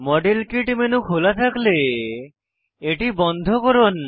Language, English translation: Bengali, Ensure that the modelkit menu is closed, if it is open